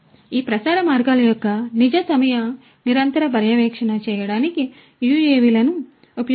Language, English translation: Telugu, So, UAVs could be used to do real time continuous monitoring of these transmission lines